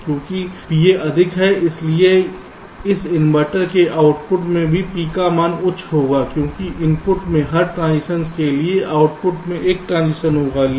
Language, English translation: Hindi, ok, so because p a is higher, the output of this inverter [vocalized noise] will also have a higher value of p, because for every transition in the input there will be a transition in the output, right